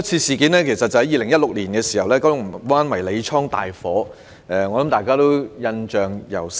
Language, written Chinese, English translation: Cantonese, 事源是2016年發生的九龍灣迷你倉大火，大家或許仍然印象猶深。, All could be traced back to the serious fire that broke out in a mini - storage in Kowloon Bay in 2016 . Perhaps Members still have a deep memory of the inferno